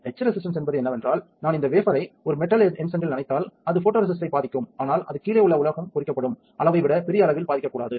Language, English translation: Tamil, Etch resistance is that, if I dip this wafer in a metal etchant then it will affect photoresist, but it should not affect that greatly that the metal below it will get etched